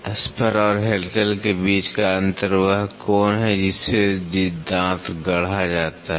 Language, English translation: Hindi, The difference between spur and helical is the angle with which the tooth is fabricated